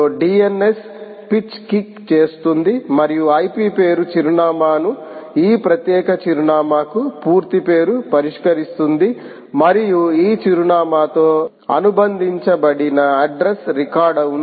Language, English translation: Telugu, dns will kick in the pitch in and resolve the ip name address, the full name to this particular address, and there is an address record associated with this address